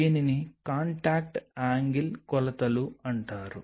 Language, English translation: Telugu, So, that is called contact angle measurements